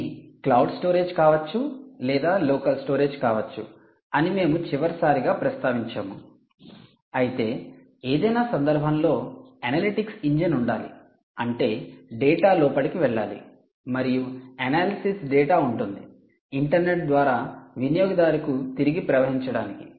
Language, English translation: Telugu, essentially, we mentioned last time that it could be cloud storage or it could be, ah, local storage as well, but in any case, analytics engine has to be there, which means data has to go in and, essentially, analysis data, analysis data will have to flow back, which means this analysis data via the internet has to go back to the user analysis